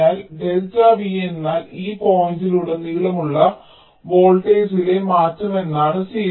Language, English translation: Malayalam, so delta v means change in voltage across this point zero